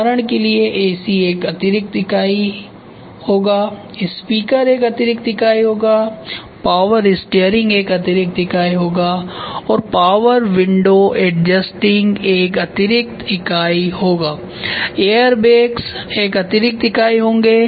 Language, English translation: Hindi, For example, AC will be an add on unit, speakers will be an on unit power steering will be an add on unit and power window adjusting will be an add on unit, air bags will be an ad on unit right so this is what it is